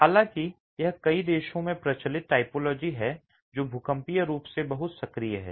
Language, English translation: Hindi, However, this has been a prevalent typology in several countries which are seismically very active